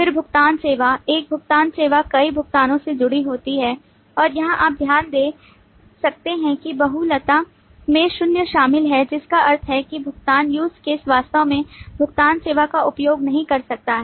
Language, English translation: Hindi, Then payment service: one payment service is associated with multiple payments and here you can note that the multiplicity includes zero, which means that a payment use case may not actually use a payment service